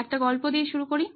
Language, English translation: Bengali, Let me start out with a story